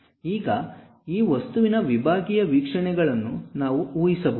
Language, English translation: Kannada, Now, can we guess sectional views of this object